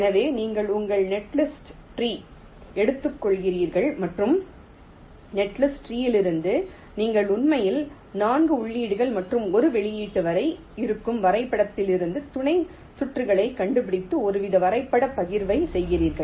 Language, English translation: Tamil, so you take your netlist tree and from the netlist tree you actually find out sub circuits from the graph which will be having upto four inputs and one outputs and do a some kind of graph partitioning